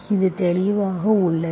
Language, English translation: Tamil, So this is in a clear form